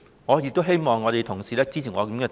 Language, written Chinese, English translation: Cantonese, 我亦希望同事支持我的建議。, I also hope that Honourable colleagues can support my proposal